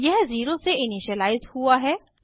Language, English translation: Hindi, It is initialized to 0